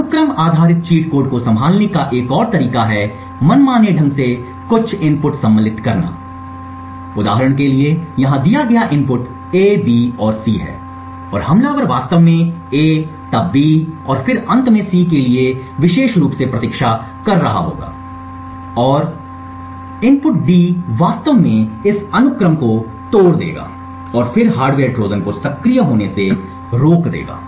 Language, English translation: Hindi, Another way to handle this sequence cheat codes is by arbitrarily inserting some random inputs so for example over here given the input is A B and C and the attacker is actually waiting specifically for A to occur then B and then finally C in consecutive cycles inserting a random input D would actually break this sequence and then prevent the hardware Trojan from being activated